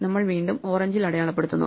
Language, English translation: Malayalam, So, once again we mark it in orange